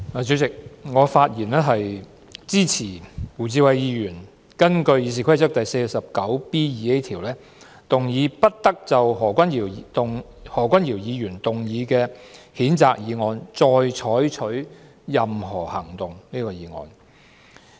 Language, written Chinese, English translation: Cantonese, 主席，我發言支持胡志偉議員根據《議事規則》第 49B 條，動議"不得就何君堯議員動議的譴責議案再採取任何行動"的議案。, President I rise to speak in support of the motion moved by Mr WU Chi - wai under Rule 49B2A of the Rules of Procedure that no further action shall be taken on the censure motion moved by Dr Junius HO